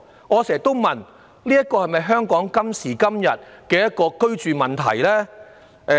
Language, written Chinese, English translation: Cantonese, 我常問這是否香港今時今日必須面對的居住問題？, I often wonder if this is the housing problem we must face in Hong Kong nowadays